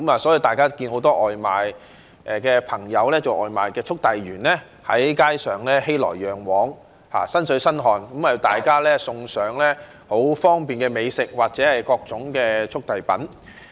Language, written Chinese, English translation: Cantonese, 所以，大家看到很多送外賣的朋友、外賣速遞員在街上熙來攘往、"身水身汗"，為大家送上很方便的美食或各種速遞品。, This explains why we can see the bustling of so many food and goods courier workers drenched in sweat on the streets and they are there to provide us with convenient delivery services for food and courier goods